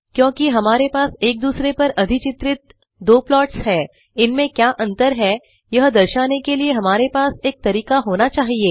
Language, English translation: Hindi, Since we have two plots now overlaid upon each other we would like to have a way to indicate what each plot represents to distinguish between them